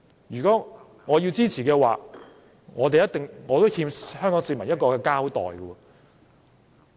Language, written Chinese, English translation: Cantonese, 如果我支持這項修正案，我會欠香港市民一個交代。, If I support this amendment I will owe Hong Kong people an explanation